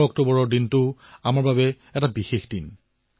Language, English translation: Assamese, 11th of October is also a special day for us